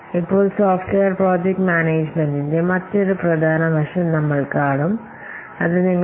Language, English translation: Malayalam, Now we will see another important aspect of software project management that is your portfolio project portfolio management